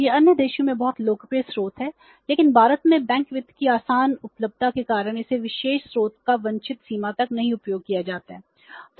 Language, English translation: Hindi, It is very popular source in the other countries but because of easy availability of the bank finance in India this particular source this particular source is not used to the desired extent